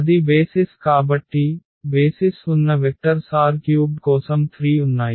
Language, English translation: Telugu, So, that was the basis so, the vectors in the basis were 3 there for r 3